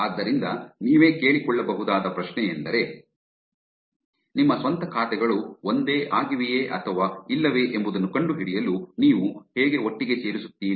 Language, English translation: Kannada, So the question that you can ask yourself is how do I put, how do you put your own accounts together to find out whether they're same or not